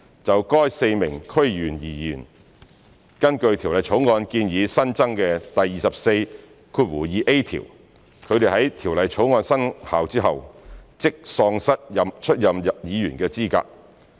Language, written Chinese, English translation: Cantonese, 就該4名區議員而言，根據《條例草案》建議新增的第24條，他們在《條例草案》生效後即喪失出任議員的資格。, As far as the DC members are concerned under new section 242A as proposed in the Bill they will be disqualified from holding office immediately after the commencement of the Bill